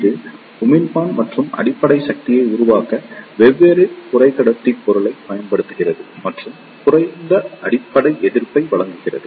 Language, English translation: Tamil, It utilizes the different semiconductor material to form emitter and base junction and provides low base resistance